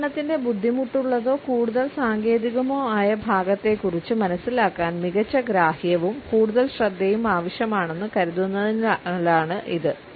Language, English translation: Malayalam, Because it is thought that understanding of difficult or more technical part of the presentation require better understanding and more focus